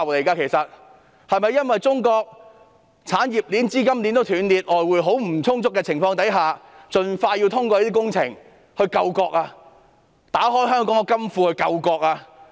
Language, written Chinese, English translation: Cantonese, 是否因為中國的產業鏈和資金鏈都斷裂，外匯十分不足，所以要盡快通過這些工程，打開香港的金庫來救國？, Is it because the industrial chains and capital chains of China have broken and there is a shortage of foreign exchange so that these projects have to be passed as soon as possible in order to open the coffers of Hong Kong to save the country?